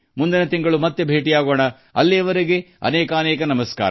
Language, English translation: Kannada, We'll meet again next month, until then, many many thanks